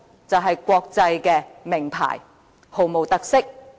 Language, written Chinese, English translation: Cantonese, 便是國際名牌，毫無特色。, Mostly international brand name products without any local colours